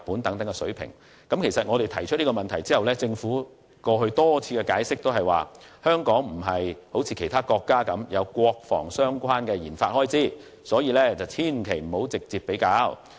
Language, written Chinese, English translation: Cantonese, 對於我們提出的問題，政府過去多次的解釋都是香港不像其他國家般，有國防相關的研發開支，所以不應直接作比較。, In response to the relevant questions raised by us the Government has explained time and again in the past that unlike other countries Hong Kong does not have defence - related expenditure on RD thus no direct comparison could be drawn